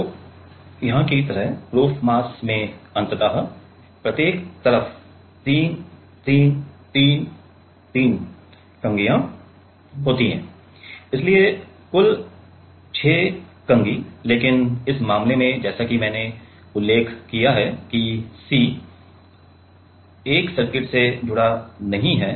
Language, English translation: Hindi, So, the proof mass like here is having ultimately 3 3 3 3 combs on each side so, total 6 combs, but in this case as I have mentioned that C 1 is not connected to the circuit